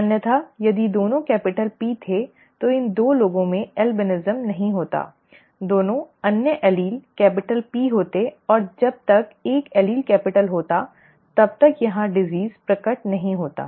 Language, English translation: Hindi, if both had been capital P then these 2 people would not have had albinism, theÉ both the other allele would have been capital P and as long as one allele was capital then the disease would not have been manifested here